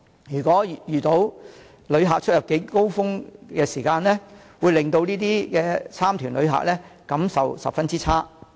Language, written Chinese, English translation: Cantonese, 如果遇到旅客出入境高峰期，會令到這些旅行團旅客的感受十分差。, This will leave a very bad impression on these visitors at times of cross - boundary peaks